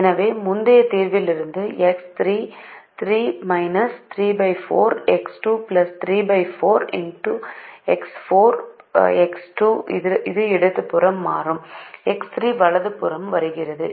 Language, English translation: Tamil, so from the previous solution, x three was three minus three by four x two plus three by four x four